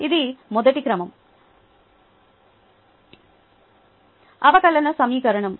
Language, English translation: Telugu, it is a first order differential equation